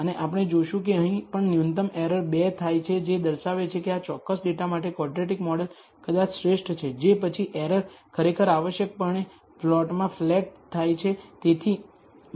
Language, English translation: Gujarati, And we will see that here also the minimal error occurs at 2 showing that a quadratic model is probably best for this particular data after which the error actually essentially flattens out